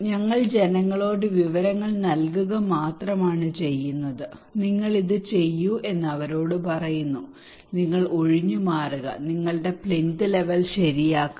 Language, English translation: Malayalam, We only provide information to the people telling them you do this you evacuate you raise your plinth level okay